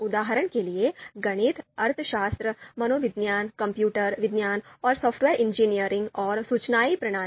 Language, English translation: Hindi, For example; Mathematics, Economics, Psychology, Computer Science and Software Engineering and Information Systems